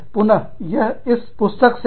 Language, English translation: Hindi, Again, this is from the book